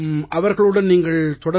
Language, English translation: Tamil, Are you still in touch with them